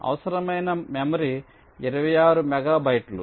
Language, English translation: Telugu, memory required will be twenty six megabytes